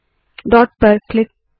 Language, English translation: Hindi, Click at the dot